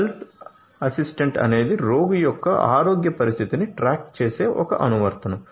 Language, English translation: Telugu, Health assistant is one such app which keeps track of health condition of the patient